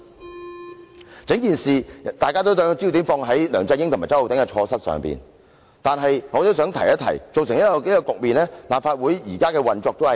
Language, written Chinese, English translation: Cantonese, 在整件事情上，大家都把焦點放在梁振英和周浩鼎議員的錯失上，但我也想提出一點：造成這個局面的其中一個原因，是立法會現時的運作。, On this matter all of us have focused on the mistakes made by LEUNG Chun - ying and Mr Holden CHOW but I would also like to point out that the current operation of the Legislative Council is one of the causes of this situation